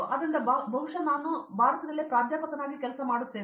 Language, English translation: Kannada, So, most probably I would be working as a professor also